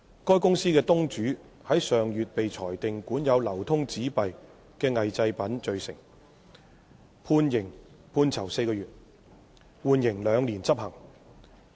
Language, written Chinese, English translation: Cantonese, 該公司的東主於上月被裁定管有流通紙幣的偽製品罪成，判囚4個月，緩刑兩年執行。, The owner of the company was convicted last month of possessing counterfeit currency notes and sentenced to four months imprisonment suspended for two years